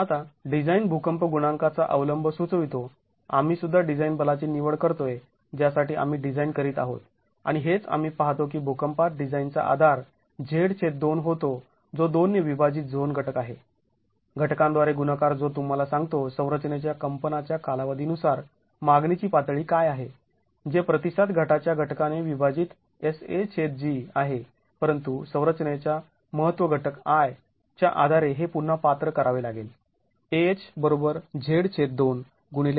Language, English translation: Marathi, Now, adopting the design seismic coefficient implies we are also choosing the design force for which we are designing and that is what we see the design basis earthquake being Z by 2 which is the zone factor by 2 multiplied by the factor that tells you what is the demand level depending on the period of vibration of the structure which is SA by G divided by the response reduction factor but this has to be qualified again depending on the importance factor of the structure